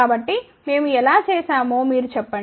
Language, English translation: Telugu, So, just you tell you how we did that